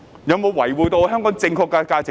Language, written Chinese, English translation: Cantonese, 有否維護香港正確的價值觀？, Have they upheld the correct values of Hong Kong?